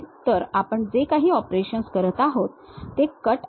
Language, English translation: Marathi, So, whatever the operations we are making this is the cut